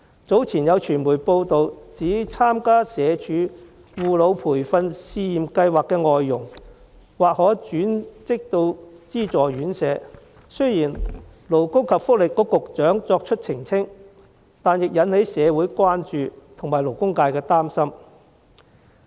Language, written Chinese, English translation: Cantonese, 早前有傳媒報道，指參加社會福利署外傭護老培訓試驗計劃的外傭，或可轉職資助院舍，雖然勞工及福利局局長作出澄清，但仍引起社會關注和勞工界的擔心。, It has been reported by the media that foreign domestic helpers who participate in the Pilot Scheme on Training for Foreign Domestic Helpers in Elderly Care of the Social Welfare Department may probably be transferred to subsidized residential care homes . Despite the clarification from the Secretary for Labour and Welfare this has still aroused concerns in the community and the labour sector